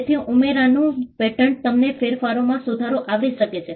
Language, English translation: Gujarati, So, the patent of addition, allows you to cover improvements in modifications